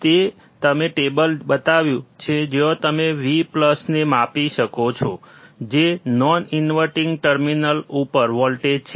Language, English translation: Gujarati, I have shown you the table where you can measure V plus, which is voltage at and non inverting non inverting terminal,